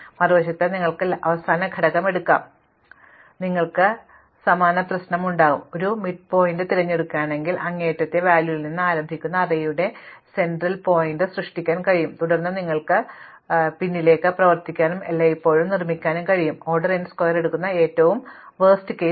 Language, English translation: Malayalam, On the other hand, you could take the last element and you would have the same problem, if you pick the midpoint again you can make the middle point of the array that you start with the extreme element and you can then work backwards and construct always a worst case which takes order n square